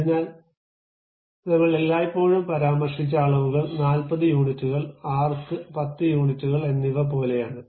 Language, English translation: Malayalam, So, the dimensions always we mentioned like 40 units and arc 10 units